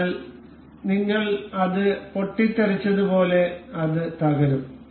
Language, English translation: Malayalam, So, it will collapse in the way as we have exploded it